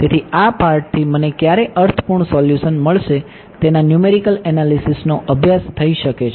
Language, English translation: Gujarati, So, this is the part may be study the numerical analysis of when will I get a meaningful solution